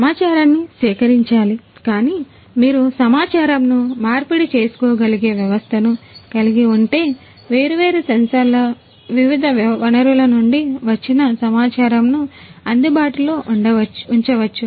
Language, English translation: Telugu, So, data is being acquired, but you know if you can have a system where the data can be exchanged you know, so the data from the different sources the different sensors they all can be made available